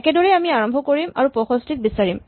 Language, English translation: Assamese, Similarly, you can start and look for 65